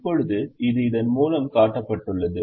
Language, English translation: Tamil, that is shown through this